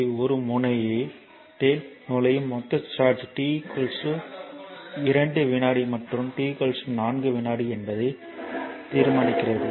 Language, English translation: Tamil, 3 determine the total charge entering a terminal between t is equal to 2 second and t is equal to 4 second